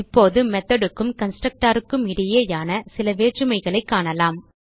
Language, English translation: Tamil, Now let us see some difference between method and a constructor